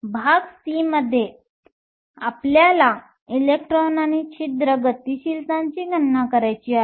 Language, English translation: Marathi, In part c, we want to calculate the electron and hole mobilities